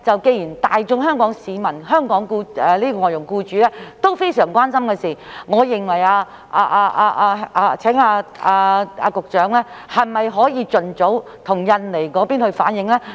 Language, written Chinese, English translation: Cantonese, 既然這是香港外傭僱主均非常關心的事情，我想問，局長可否盡早向印尼政府反映？, Since this is a grave concern of Hong Kong employers of FDHs may I ask whether the Secretary will relay it to the Indonesian Government as early as possible? . There is another point which the Secretary must know